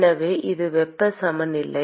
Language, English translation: Tamil, So, that is the heat balance